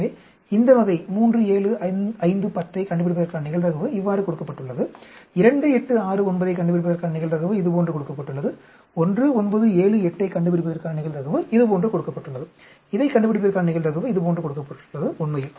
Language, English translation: Tamil, So, a probability of finding this sort of 3, 7, 5, 10 is given like this, probability of finding 2, 8, 6, 9 is given like this, probability of finding 1, 9, 7, 8 is given like this, probability of finding this, is given like this actually, do you understand